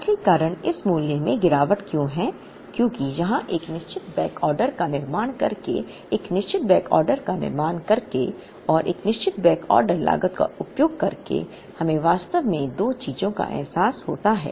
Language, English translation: Hindi, The real reason, why this value comes down is because here by building a certain backorder, by building a certain backorder and by incurring a certain backorder cost, we realize actually two things